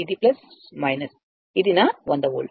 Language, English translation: Telugu, So, that is your 100 volt right